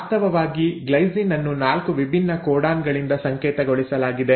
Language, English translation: Kannada, In fact glycine is coded by 4 different codons